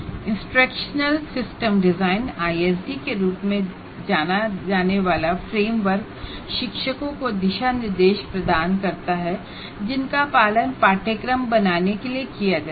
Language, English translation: Hindi, And framework known as instructional system design, we will explain it later what ISD is, provides guidelines teacher can follow in order to create a course